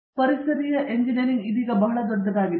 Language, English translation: Kannada, Environmental engineering has become very big now